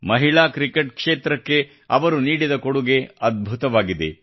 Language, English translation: Kannada, Her contribution in the field of women's cricket is fabulous